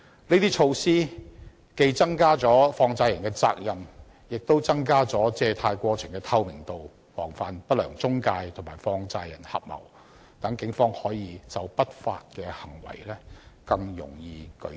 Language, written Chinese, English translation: Cantonese, 這些措施既增加了放債人的責任，亦增加了借貸過程的透明度，防範不良中介公司和放債人合謀，讓警方可以就不法行為更容易舉證。, These measures can not only increase the responsibility of money lenders but also enhance the transparency of the borrowing process thereby preventing unscrupulous intermediaries from colluding with money lenders and thus making it easier for the Police to adduce evidence with respect to illegal practices